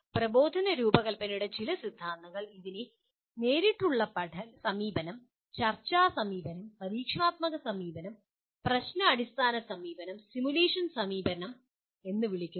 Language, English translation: Malayalam, Some more theories of instructional design call it direct approach, discussion approach, experiential approach, problem based approach, simulation approach